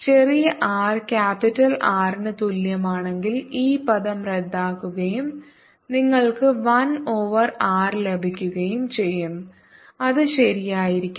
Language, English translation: Malayalam, notice that if r small r equals capital r, this term cancels and you get one over r, which should be right